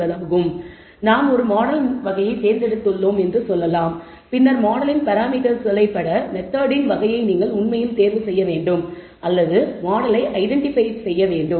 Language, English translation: Tamil, So, let us say we have chosen one type of model, then you have to actually choose the type of method that you are you going to use in order to derive the parameters of the model or identify the model as we call it